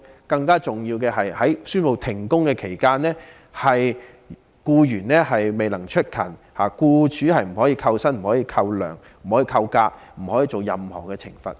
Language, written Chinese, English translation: Cantonese, 更最重要的是，在宣布停工期間，僱員如未能出勤，僱主不可扣減工資、假期或作出任何懲罰。, Still more importantly once work suspension is announced employers cannot deduct the wage and leave of or impose any punishment on employees who fail to discharge their duties